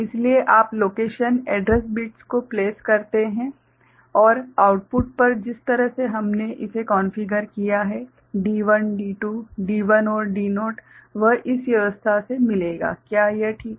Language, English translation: Hindi, So, you place the location address bits and at the output you will get the way we have configured it D1 D2, D1 and D naught by this arrangement, is it fine